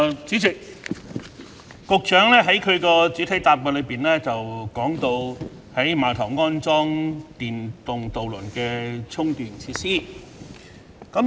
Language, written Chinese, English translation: Cantonese, 主席，局長在主體答覆中提到，在碼頭安裝電動渡輪的充電設施。, President the Secretary has mentioned the installation of charging facilities for electric ferries at piers in the main reply